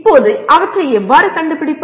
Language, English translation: Tamil, Now, how do you locate them